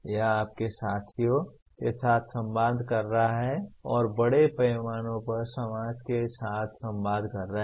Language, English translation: Hindi, That is communicating with your peers and communicating with society at large